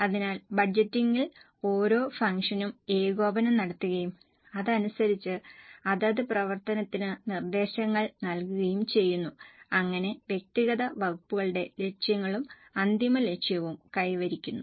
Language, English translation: Malayalam, So, in the budgeting exercise, coordination is done for each function and accordingly the directions are given to that respective function so that individual departments goals are also achieved and the final goal is also achieved